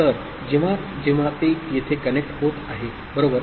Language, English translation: Marathi, So, whenever it is getting connected here, right